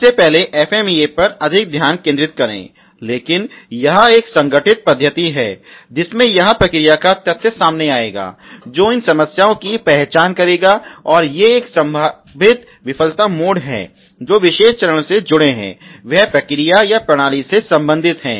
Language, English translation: Hindi, First of all as a focus more on the FMEA as of now, but there are organized method in which this process data will come out, which will identifies these are the problems, and these are the a potential failure modes associated with the particular stage of the process or the system that we are the concerned with